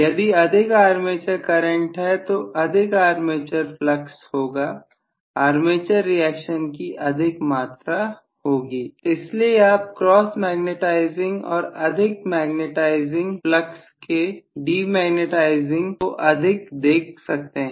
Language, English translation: Hindi, If there is more armature current there will be more armature flux, there will be more amount of armature reactions so you might see more of the demagnetizing more of the cross magnetizing and more magnetizing flux